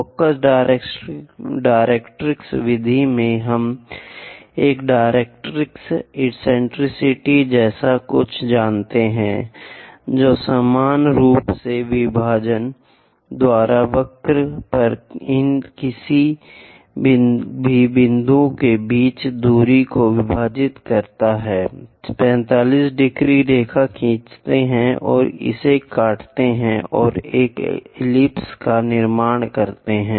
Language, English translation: Hindi, In focus directrix method we know something like a directrix, eccentricity we know, equally divide distance between these any point on the curve by equal number of divisions, draw 45 degrees line and intersect it and construct this ellipse